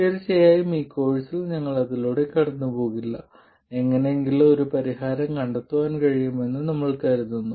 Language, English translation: Malayalam, Now of course in this course we won't go through that we just assume that the solution can be found somehow